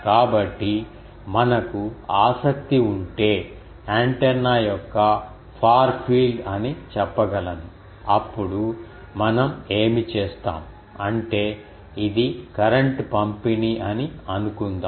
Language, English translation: Telugu, So, we can say that the far field ah of the antenna ah if we are interested, then what we will do we will actually break this suppose this is the current distribution